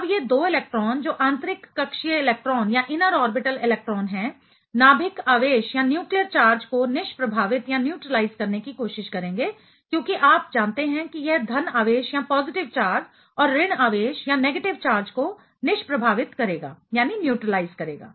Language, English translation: Hindi, Now, these 2 electron which are inner orbital electrons will try to neutralize the nucleus charge because you know it is a positive charge and negative charge should be neutralizing